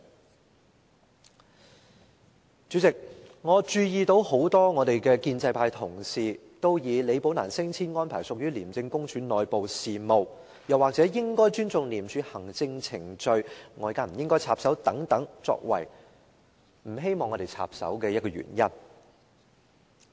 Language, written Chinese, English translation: Cantonese, 代理主席，我注意到立法會很多建制派的同事都以李寶蘭的升遷安排屬於廉署內部事務，又或應該尊重廉署的行政程序，外界不應插手等，作為不希望立法會插手的原因。, This is the right way to safeguard the credibility of ICAC . Deputy President I notice that many pro - establishment Members do not want the Legislative Council to intervene in the Rebecca LI incident saying that her promotion arrangement was an internal affair of ICAC or that we should respect the administrative procedure of ICAC and outsiders should not intervene in the matter so on and so forth